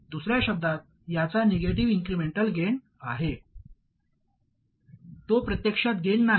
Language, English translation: Marathi, In other words, it must have a negative incremental gain